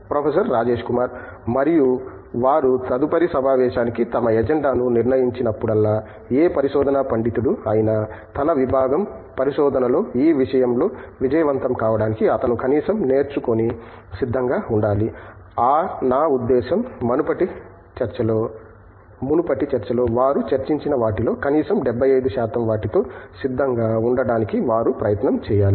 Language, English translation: Telugu, And, whenever they decide their agenda for the next meeting, the ideal and optimal goal for any researcher scholar to be successful in this and to be disciplined in the research, is to come up prepared with at least, I mean they have to give it an effort to be prepared with at least 75 percent of what they discussed their in the previous discussion